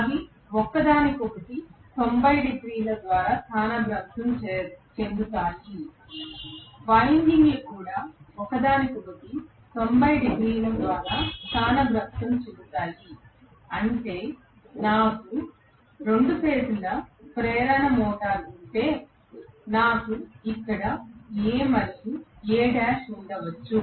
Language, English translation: Telugu, They will be displaced from each other by 90 degrees, the windings will be also be displaced from each other by 90 degrees, which means if I have a 2 phase induction motor, I will have maybe A and A dash here